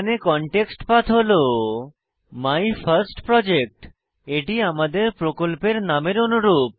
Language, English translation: Bengali, Note that Context Path here is MyFirstProject, this is the same name as our Project